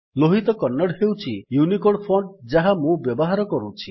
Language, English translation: Odia, Lohit Kannada is the UNICODE font that I am using